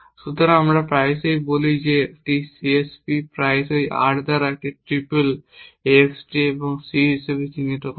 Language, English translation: Bengali, So, we often say that a CSP is denoted often by R as this triple x d and c